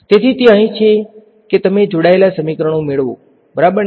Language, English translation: Gujarati, So, that is so here you get coupled equations ok